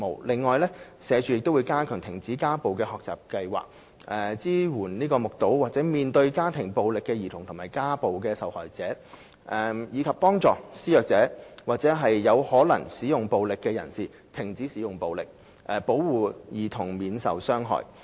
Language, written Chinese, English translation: Cantonese, 此外，社署會加強停止家暴的學習計劃，支援目睹或面對家庭暴力的兒童和家暴受害者，以及幫助施虐者或有可能使用暴力的人士停止使用暴力，保護兒童免受傷害。, Besides SWD will enhance the Educational Programme on Stopping Domestic Violence to support children witnessing or exposed to domestic violence and victims of domestic violence and to help perpetrators and individuals with the possibility of using violence stop their violence with a view to protecting children from harm